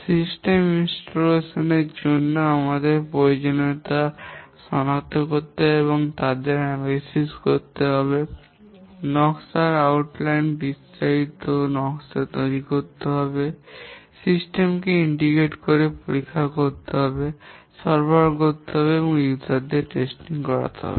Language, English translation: Bengali, For the system installation, we need to identify the requirements, analyze them, outline the design, detailed design, integrate the system test, deliver and user testing